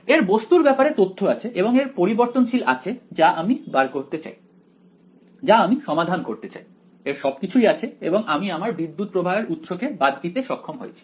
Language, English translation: Bengali, It has the object information and it has the variable that I want to find out that I want to solve for it has everything and I have eliminated this current source